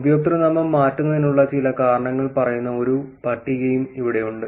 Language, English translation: Malayalam, Also here is a table which actually also says few reasons for username changes